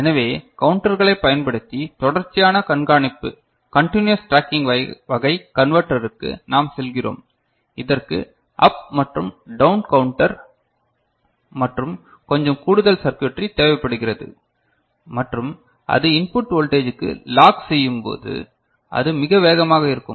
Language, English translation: Tamil, So, we move to continuous tracking type converter using counters, which requires both up and down counter and little bit of additional circuitry and when it is locked to the input voltage, it is very fast ok